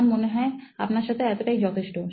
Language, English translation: Bengali, I think that is it with you